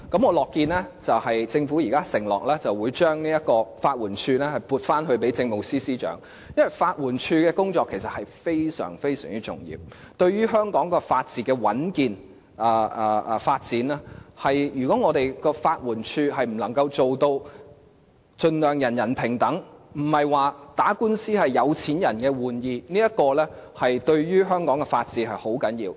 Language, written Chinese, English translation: Cantonese, 我樂見政府現時承諾將法援署撥歸政務司司長負責，因為法援署的工作其實非常重要，對於香港法治的穩健和發展是關鍵，如果法援署能盡量做到人人平等，使打官司並非是有錢人的玩兒，這對於香港的法治是很重要的。, I am happy to see that the Government now pledges to put LAD under the leadership of the Chief Secretary for Administration . It is because the work of LAD is very important and it plays a key role in the soundness and development of the rule of law in Hong Kong . If the LAD can treat everyone as equal so that lawsuits are not the games of rich it contributes much to the rule of law in Hong Kong